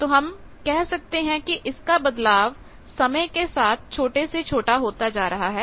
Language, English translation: Hindi, So, we say variation becomes smaller and smaller with time